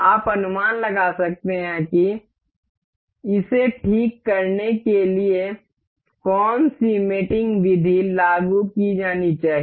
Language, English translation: Hindi, You can make a guess what mating method is supposed to be applied to fix this into this